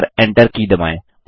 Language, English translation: Hindi, And press the Enter key